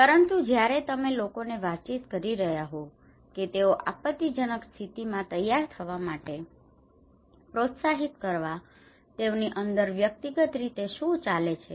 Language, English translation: Gujarati, But when you are communicating people to encourage them to prepare against disaster what they are going on inside them as an individual